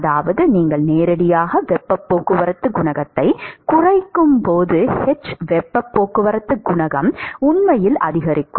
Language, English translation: Tamil, And that simply means that, the h, the heat transport coefficient would actually increase as you directly translates into the reduction in the heat transport coefficient